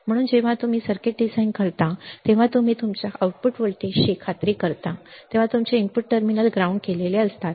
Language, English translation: Marathi, So, in when you design the circuit you make sure that you are you are output voltage is 0 when your input terminals are grounded